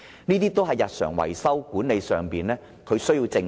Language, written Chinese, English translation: Cantonese, 這些日常維修的事宜，管理層必須正視。, The management must face up to these day - to - day maintenance matters